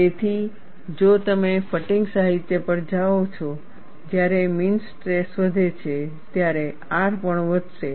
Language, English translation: Gujarati, So, if you go to fatigue literature, when the mean stress increases, R also would increase